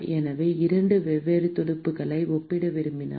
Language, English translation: Tamil, So, if I want to compare two different fins in